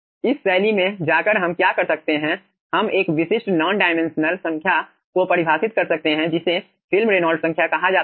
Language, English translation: Hindi, okay, going in this fashion, what we can do, we can define a typical non dimensional number which is called film reynolds number